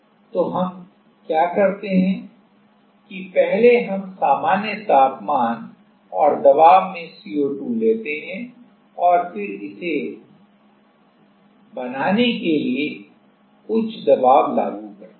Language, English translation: Hindi, So, what do we do is first we take the CO2 in normal temperature and pressure and then apply high pressure to make it, high pressure